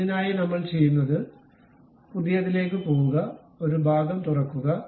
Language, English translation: Malayalam, For that purpose what we do is go to new, open a part, ok